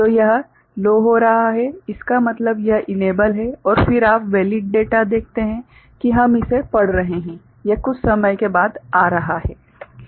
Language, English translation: Hindi, So, it is going low means it is enabled and then you see the valid data that we are reading it is coming after some point of time ok